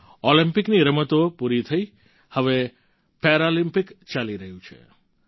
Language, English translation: Gujarati, The events at the Olympics are over; the Paralympics are going on